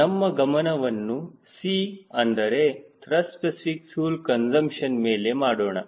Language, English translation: Kannada, let us focus on c, that is, thrust specific fuel consumption